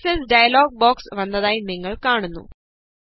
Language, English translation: Malayalam, You see that the Format Cells dialog box opens